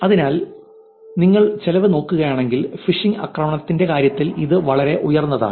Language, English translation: Malayalam, So, if you look at the cost its actually pretty high in terms of actually even the phishing attack